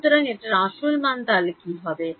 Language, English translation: Bengali, So, what is this actually amount to